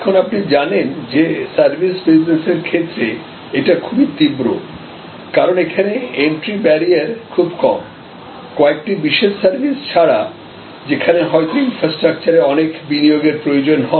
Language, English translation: Bengali, Now, this as you know in the services industry is always very intense, because in services as we know entry barrier is relatively much lower except in certain services, where there may be a lot of initial investment needed in infrastructure